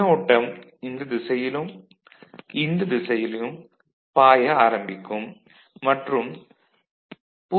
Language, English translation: Tamil, The current will start flowing in this direction current, will start flowing in this direction and 0